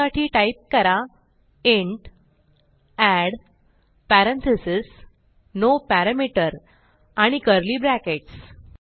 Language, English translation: Marathi, So type int add parentheses no parameter and curly brackets